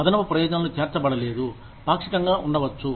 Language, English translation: Telugu, No additional benefits included, may be partially